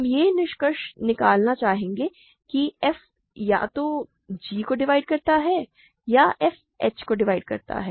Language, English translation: Hindi, We would like to conclude that f divides either g or f divides h